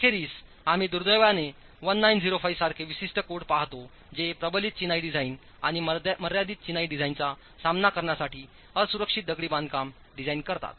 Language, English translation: Marathi, Eventually we will see specific codes such as 1905 which deals with unreinforced masonry design to deal with reinforced masonry design and confined masonry designs